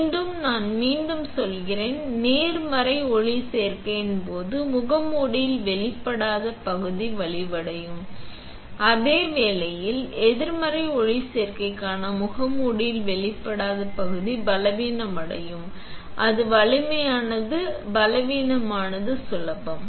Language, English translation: Tamil, Again, I am repeating; the unexposed region in the mask in case of positive photoresist will become stronger while the unexposed region in the mask for negative photoresist will become weaker; it is stronger, weaker; easy